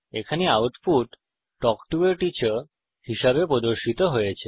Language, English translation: Bengali, Here the output is displayed as Talk To a Teacher